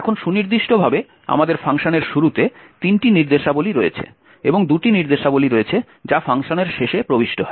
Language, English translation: Bengali, Now precisely we have three instructions at the start of the function and two instructions that gets inserted at the end of the function